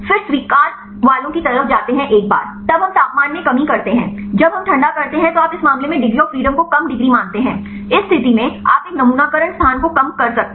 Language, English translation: Hindi, Then go to the accepted once then we decrease the temperature when we cool down you consider as less degrees of freedom in this case you can reduce a conformation sampling space